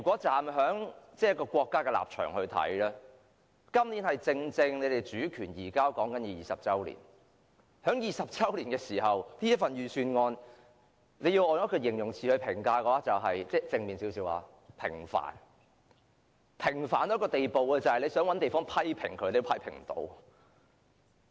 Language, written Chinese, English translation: Cantonese, 站在國家的立場，今年正正是香港主權移交20周年，在20周年的時刻，用一個稍為正面的形容詞來評價這份預算案，是平凡，平凡至一個無法批評的地步。, From the stance of our country this is the 20 anniversary of the return of Hong Kongs sovereignty . At this particular moment if I use a somewhat more positive term to evaluate this Budget I would say it is insipid so much so that one cannot find anything to criticize